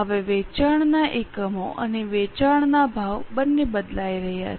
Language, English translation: Gujarati, Now both sale units and sale prices are changing